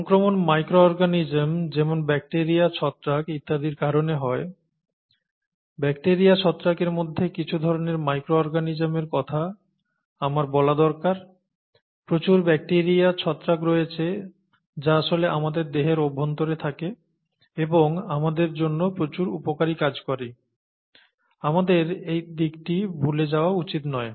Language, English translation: Bengali, I would should say some types of micro organisms among bacteria, fungi; there are a lot of very useful types of bacteria, fungi, which actually reside inside our body and do a lot of useful things for us, okay